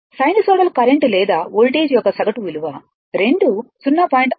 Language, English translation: Telugu, Average value of the sinusoidal current or voltage both are multiplied by 0